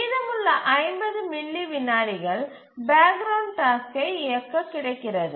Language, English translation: Tamil, So, the rest of the 50 millisecond is available for the background task to run